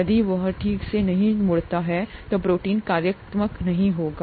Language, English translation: Hindi, If that doesnÕt fold properly, then the protein will not be functional